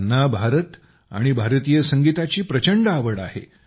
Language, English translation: Marathi, He has a great passion for India and Indian music